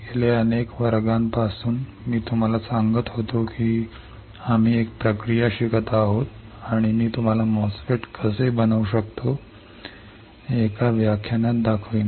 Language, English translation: Marathi, From last several classes, I was telling you that we are learning a process, and I will show you in one of the lectures how we can fabricate a MOSFET